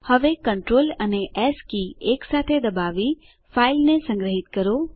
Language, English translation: Gujarati, NowSave the file by pressing Control and S keys simultaneously